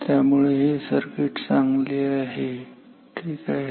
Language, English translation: Marathi, So, this circuit is better ok